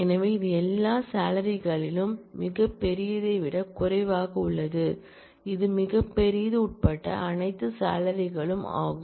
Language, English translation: Tamil, So, this is all salaries which are less than largest, this is all salaries including the largest